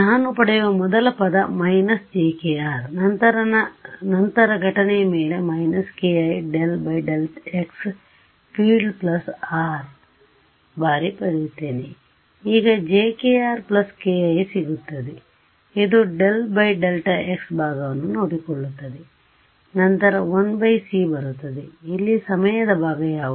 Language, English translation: Kannada, So, what is the first term that I get I get a minus j k r right then I get a minus k i is d by d x put on incident field plus R times now what will I get j k r plus k i this takes care of the d by dx part, then comes 1 by c what is the time part over here